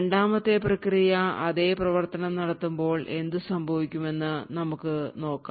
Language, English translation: Malayalam, Now let us see what would happen when the 2nd process executes the exact same function